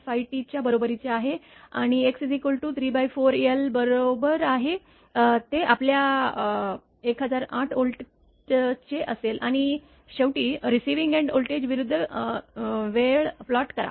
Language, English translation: Marathi, 5 T and x is equal to 3 by 4 l it will be your 1008 Volt and finally, plot the receiving end voltage versus time